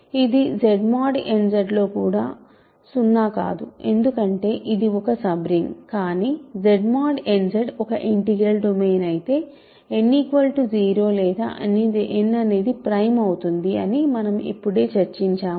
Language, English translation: Telugu, So, it is also non zero in Z mod n Z because it is a sub ring, but then if Z mod n Z is a integral domain which is what we just concluded, this implies that n is 0 or n is prime right